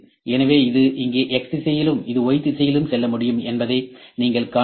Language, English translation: Tamil, So, this can move in Y direction